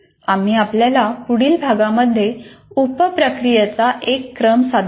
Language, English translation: Marathi, We will present you to present you one sequence of subprocesses in the next unit